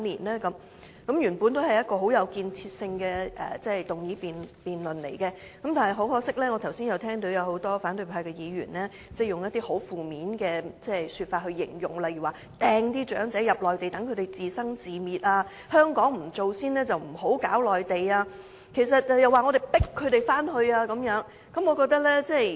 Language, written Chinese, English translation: Cantonese, 這項議案原本很有建設性，但很可惜，我剛才聽聞多位反對派議員以一些負面的字眼來形容，例如"掟"長者到內地，由得他們自生自滅、如香港不先把問題處理好，就不要打內地主意，又指我們"強迫"長者回去內地安老。, This is initially a very constructive motion but regrettably I heard various Members who have spoken just now use negative wording in their speeches such as throwing the elderly people back to the Mainland leaving them on their own and their families never care if they live or perish . Those Members also made negative remarks such as Hong Kong should not take advantage of the Mainland before they have properly dealt with the issue . Also they accused us of compelling the elderly people to go back to the Mainland and age there